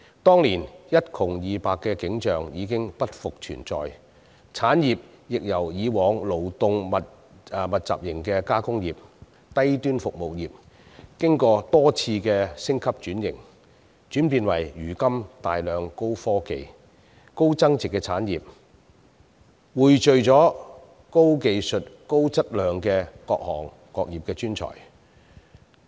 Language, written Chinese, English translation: Cantonese, 當年一窮二白的景象已經不復存在，產業亦由以往勞動密集型的加工業、低端服務業，經過多次升級轉型，轉變為如今的大量高科技、高增值產業，匯聚了高技術、高質量的各行各業專才。, The scenes of economically backward cities back then no longer exist now . Industries developed on the Mainland have also gone through many stages of upgrading and restructuring . They have transformed from the labour intensive industries engaged in processing and low - end service of the past into a large number of high - tech and high value - added industries at present nurturing a pool of highly skilful and quality talents in various trades and industries